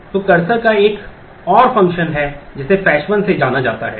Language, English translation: Hindi, So, cursor has another method which is known as fetch one